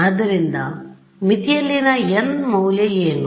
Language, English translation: Kannada, So, at the boundary, what is the value of n